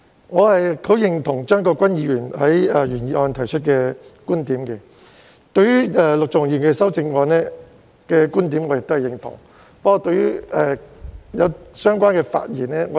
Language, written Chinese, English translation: Cantonese, 我十分認同張國鈞議員在原議案提出的觀點，以及陸頌雄議員在修正案提出的觀點，但我卻不完全認同相關的發言。, I very much agree with the viewpoints raised by Mr CHEUNG Kwok - kwan in his original motion and those by Mr LUK Chung - hung in his amendment but I do not find myself in total agreement with the relevant speeches